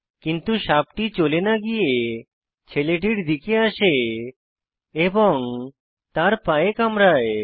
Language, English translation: Bengali, Instead it turns towards the boy and bites him on the foot